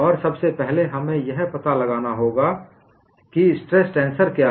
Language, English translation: Hindi, And first of all, we have to find out what is the stress tensor